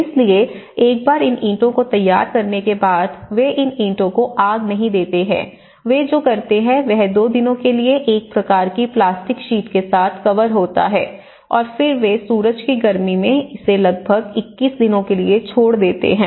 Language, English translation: Hindi, So, what they do is once they prepare these bricks, they do not fire these bricks, what they do is they cover with a kind of plastic sheet for two days and then they leave it for about, they cure it for 21 days in the hot sun and then they directly use it to the building material